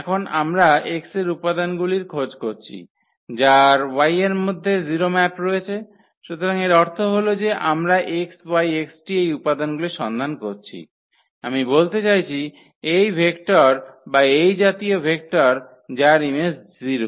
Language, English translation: Bengali, Now, we are looking for the elements in x whose map is 0 in y, so that means, we are looking for these elements x, y, z t I mean these vectors or such vectors whose image is 0